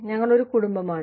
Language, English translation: Malayalam, We are family